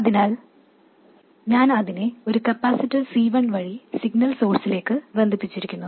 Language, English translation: Malayalam, So, I connect it to the signal source, so I connect it to the signal source through a capacitor C1